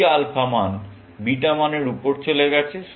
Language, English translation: Bengali, This alpha value has gone above the beta value